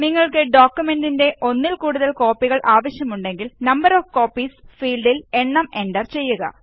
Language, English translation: Malayalam, If you want to print multiple copies of the document, then enter the value in the Number of copies field